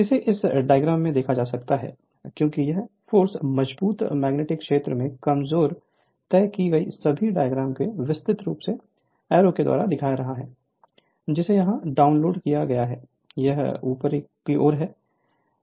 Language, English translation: Hindi, So, this is your what you call this is the diagram, because this all the your force diagram at given diagram from stronger magnetic field to the weaker one, everywhere from this diagram it is the look at that arrow is download here it is upward so right